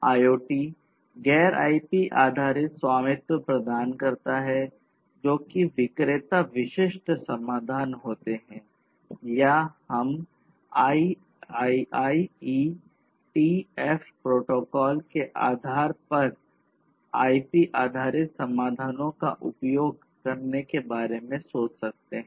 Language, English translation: Hindi, Now, think about IoT; IoT we can think about offering non IP based proprietary remains like vendor specific solutions or we can think of using the IPbased solutions based on the IETF protocols that are already there